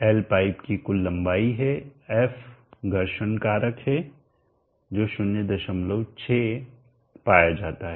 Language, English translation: Hindi, L is the total length of the pipe, f is the friction factor as form from 0